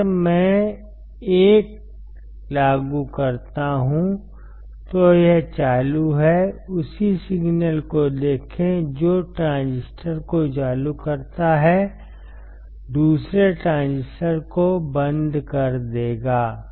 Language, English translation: Hindi, If I apply 1 this is off while this is on, see the same signal which turns on 1 transistor, will turn off the another transistor